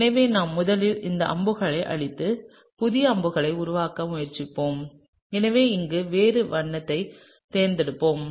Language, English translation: Tamil, So, we will first erase this arrows and try and draw a new set of arrows and so we will choose a different color over here